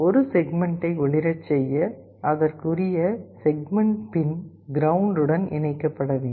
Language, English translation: Tamil, To glow a segment the corresponding segment pin has to be connected to ground